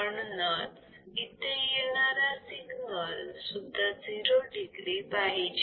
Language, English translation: Marathi, So, the signal that is coming over here should also be 0 degree